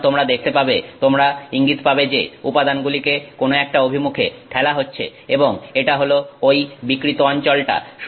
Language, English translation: Bengali, So, you will see that, you will see evidence that the material has been, you know, pushed in one direction and it is that deformed region